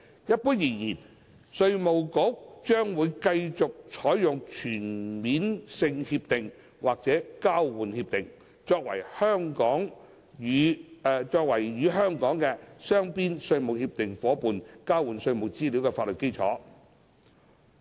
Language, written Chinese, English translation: Cantonese, 一般而言，稅務局將會繼續採用全面性協定或交換協定，作為與香港的雙邊稅務協定夥伴交換稅務資料的法律基礎。, In general the Inland Revenue Department will continue to use CDTAs or TIEAs as a legal basis for the exchange of tax information with Hong Kongs bilateral tax treaty partners